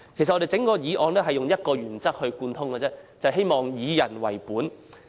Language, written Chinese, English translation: Cantonese, 整項議案貫徹一個原則，便是以人為本。, The motion as a whole adheres to the principle of being people - oriented